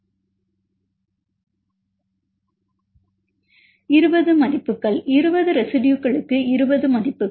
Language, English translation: Tamil, 20 values, 20 values for 20 residues